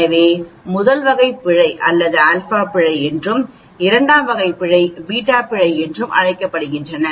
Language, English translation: Tamil, So type 1 error is called the alpha error and type 2 is called the beta error